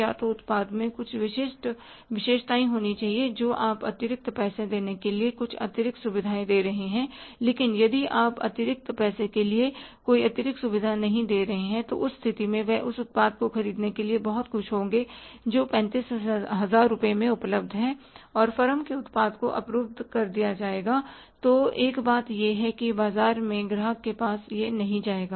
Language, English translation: Hindi, Either there should be some specific features in the product that you are giving some extra features for the extra money but if you are not giving any extra feature for the extra money in that case he would be very happy to buy a product which is available for 35,000 rupees and forms product will be blocked